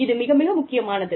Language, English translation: Tamil, These are very important